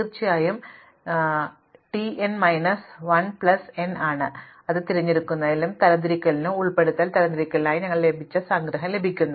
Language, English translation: Malayalam, And of course, if we expand out this t n as t n minus 1 plus n, we get the summation that we got for selection sort and insertion sort